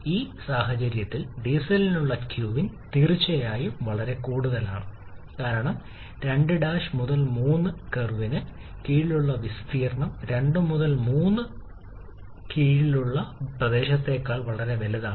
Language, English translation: Malayalam, Q in for the diesel is definitely much higher in this particular case because the area under the curve 2 prime 3 is much larger than the area under the curve 2, 3